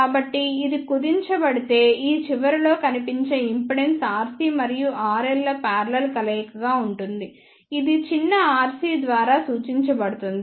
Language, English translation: Telugu, So, if this will be shortened then the impedance seen at this end will be the parallel combination of R C and R L which is represented by a small r c